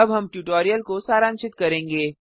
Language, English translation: Hindi, We will summarize the tutorial now